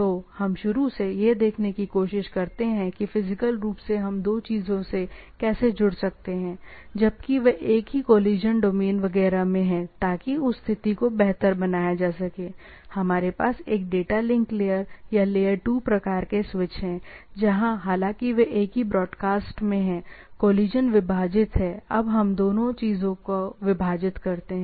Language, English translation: Hindi, So, what I, what we try to see that initially, from the physically we can connect, right; two things, they are in the same collision domains etcetera in order to improve that situation, we have a data link layer or layer 2 type of switches where, this, though they are in the same broadcast, collisions are divided, now we divide both the things